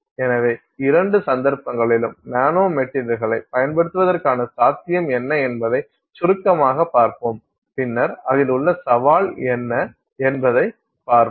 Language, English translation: Tamil, So, in both cases let's see briefly what is the possibility of using a nanomaterial and then let us see what is the challenge involved in it